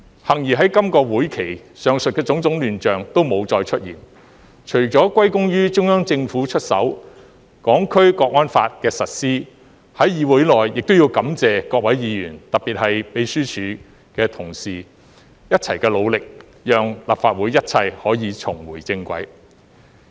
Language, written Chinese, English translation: Cantonese, 幸而在今個會期，上述的種種亂象都沒有再出現，除了歸功於中央政府出手，《香港國安法》的實施，在議會內亦要感謝各位議員特別是秘書處同事的一同努力，讓立法會一切可以重回正軌。, Fortunately there was no more chaos like the above in this session . Apart from the help of the Central Government credits should also go to the implementation of the National Security Law as well as the joint efforts of all Members in this Council especially the Legislative Council Secretariat staff which have enabled this Council to go back on track